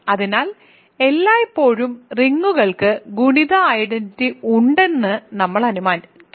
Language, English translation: Malayalam, So, we will always assume R has rings have multiplicative identity